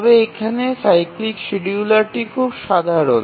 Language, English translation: Bengali, But here the cyclic scheduler is very simple